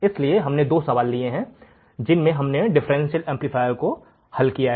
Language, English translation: Hindi, So, we have taken two problems in which we have solved the differential amplifier right